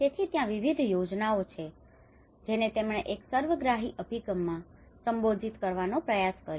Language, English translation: Gujarati, So there is a variety of schemes which he tried to address in 1 holistic approach